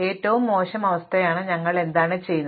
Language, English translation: Malayalam, What do we think is the worst case